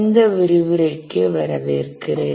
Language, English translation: Tamil, Welcome to this lecture about this lecture